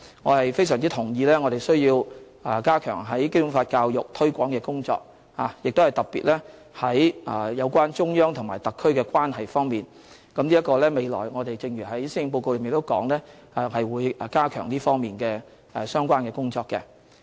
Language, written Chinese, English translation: Cantonese, 我非常同意我們需要加強《基本法》教育、推廣的工作，特別是有關中央和特區的關係方面，正如在施政報告中提及我們會加強這方面的相關工作。, I very much agree that there is the need for strengthening our Basic Law education and promotion especially in respect of the relationship between the Central Authorities and SAR . As mentioned in the Policy Address we will step up our work in this respect